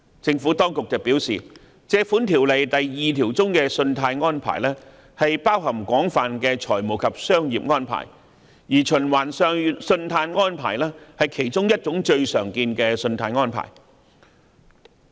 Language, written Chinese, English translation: Cantonese, 政府當局表示，《條例》第2條中的"信貸安排"包含廣泛的財務及商業安排，而循環信貸安排是其中一種最常見的信貸安排。, The Administration has advised that credit facility in section 2 of the Ordinance refers to a wide range of financial and business arrangements and one of the most common types of credit facility is revolving credit facility